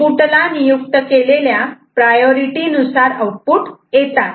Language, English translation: Marathi, The output is according to the priority assigned to the inputs